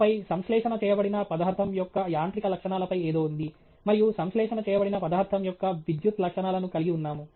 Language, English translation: Telugu, And then, there is something on mechanical properties of the material synthesized, and we have properties of electrical properties of the material synthesized